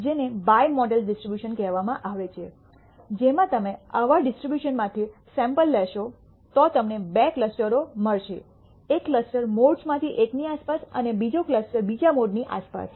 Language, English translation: Gujarati, What is called a bimodal distribution in which case if you sample from such a distribution, you will nd two clusters one clusters around the one of the modes and another cluster around the second mode